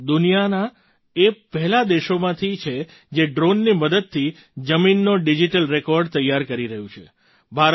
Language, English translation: Gujarati, India is one of the first countries in the world, which is preparing digital records of land in its villages with the help of drones